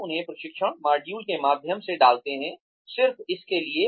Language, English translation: Hindi, We put them through training modules, just for the heck of it